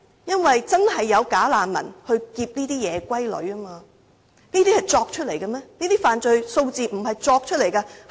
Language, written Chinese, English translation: Cantonese, 因為確實有"假難民"打劫這些夜歸女，這些問題難道是虛構出來嗎？, Why? . Because some women going home late have really been robbed by bogus refugees . These are not fictitious stories